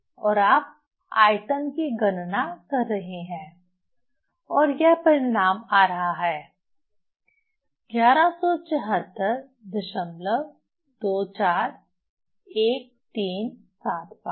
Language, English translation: Hindi, And you are calculating the volume and say result is coming 1174